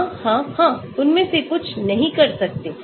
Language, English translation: Hindi, Yes, yes, yes some of them cannot do